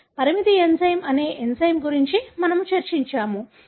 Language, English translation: Telugu, So, we have discussed about an enzyme called restriction enzyme